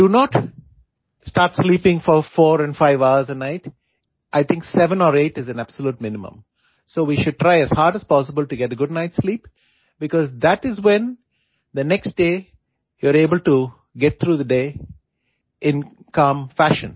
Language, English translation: Hindi, Do not start sleeping for four and five hours a night, I think seven or eight is a absolute minimum so we should try as hard as possible to get good night sleep, because that is when the next day you are able to get through the day in calm fashion